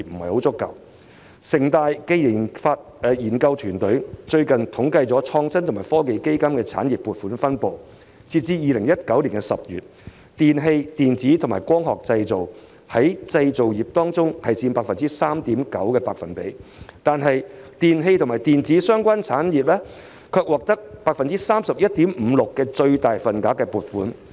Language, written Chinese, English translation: Cantonese, 香港城市大學研究團隊最近統計了創新及科技基金的產業撥款分布，截至2019年10月，"電器、電子及光學製品"在製造業當中佔 3.9%， 但電器及電子相關產業卻獲得 31.56% 的最大份額撥款。, A research team from City University of Hong Kong recently conducted a survey on the allocation of the Innovation and Technology Fund among various industries . As of October 2019 while electrical electronic and optical products accounted for only 3.9 % of the manufacturing sector electrical and electronics - related industries received the largest share of funding at 31.56 %